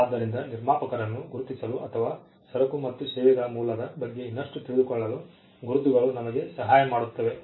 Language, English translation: Kannada, So, marks helps us to identify the producer, or to know more about the origin of goods and services